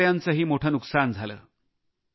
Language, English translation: Marathi, Farmers also suffered heavy losses